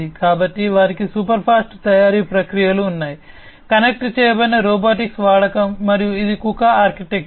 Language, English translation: Telugu, So, they have super fast manufacturing processes through, the use of connected robotics and this is the KUKA architecture